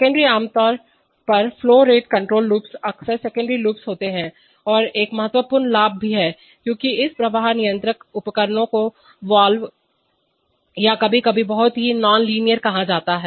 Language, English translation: Hindi, The secondary, typically flow control loops are often secondary loops, and there is also a significant advantage because this flow control devices called valves or sometimes very significantly nonlinear